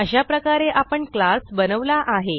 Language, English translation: Marathi, Thus we have successfully created a class